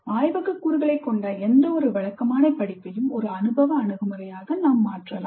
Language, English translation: Tamil, Any regular course which has a lab component can be turned into an experiential approach